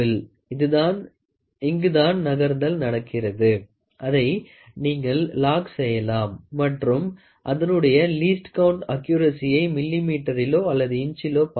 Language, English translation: Tamil, So, here is a movement which is happening, you can lock it and here you can see the accuracy the least count in terms of inches and in millimeter